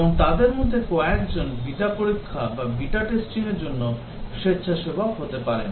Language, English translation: Bengali, And some of them they may volunteer for the beta testing